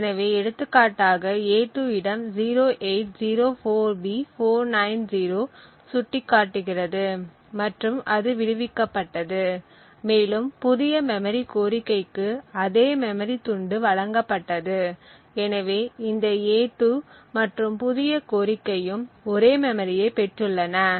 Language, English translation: Tamil, So, for example a2 was pointing to this location 0804B490 and it was freed and the new memory request was also given exactly the same memory chunk therefore this new request and a2 point to the same chunk of memory, thank you